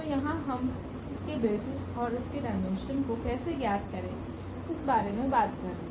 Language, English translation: Hindi, So, here we are talking about or finding the basis and its dimension